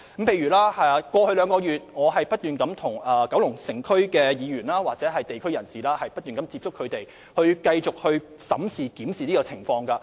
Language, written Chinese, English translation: Cantonese, 過去2個月，我不斷跟九龍城區議員或地區人士接觸，繼續審視有關情況。, Over the past two months I have constantly met with District Council members or residents of Kowloon City to review the situation